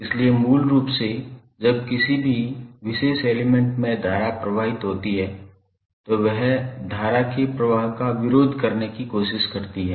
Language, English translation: Hindi, So, basically whenever the current flows in a particular element it tries to oppose the flow of current